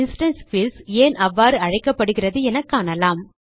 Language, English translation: Tamil, Now let us see why instance fields are called so